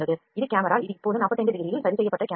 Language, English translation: Tamil, This is camera this is camera they are fixed at 45 degree now